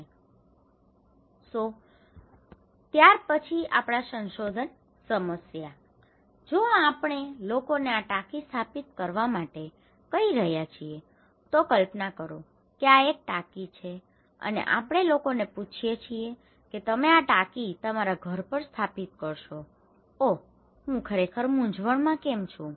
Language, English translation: Gujarati, So, our research problem then, If we are asking people to install this tank, imagine this is a tank, we ask people hey, install this tank at your house oh, I am really confused why